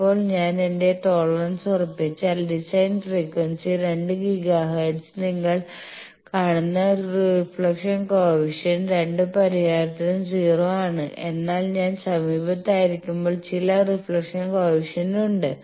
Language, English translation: Malayalam, So, you can plot and from this you can see that the suppose I fix that my tolerable you see at design frequency 2 giga hertz the reflection coefficient is 0 for both the solution, but when I am nearby there are some reflection coefficients